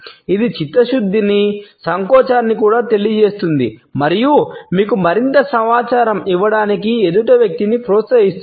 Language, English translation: Telugu, It conveys thoughtfulness, even hesitation and somehow encourages the other person to give you more information